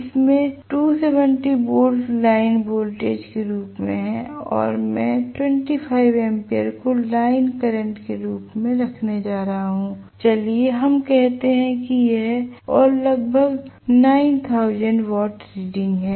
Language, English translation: Hindi, It has 270 volts as the line voltage and I am going to have 25 amperes as the line current and about 9000 watts is the reading, okay